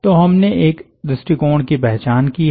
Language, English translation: Hindi, so we have identify an approach